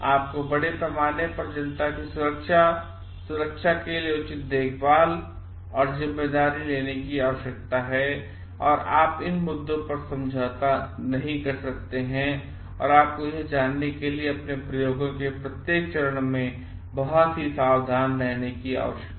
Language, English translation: Hindi, You need to take due care and responsibility for the safety and security of the public at large and you cannot compromise on these issues and you need to be extremely careful at each of the steps of your experiments to find out